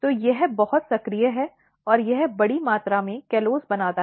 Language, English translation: Hindi, So, it is very active and it makes large amount of callose